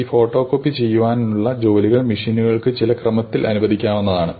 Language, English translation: Malayalam, You can say now I have to allocate these photo copying jobs to the machines in some order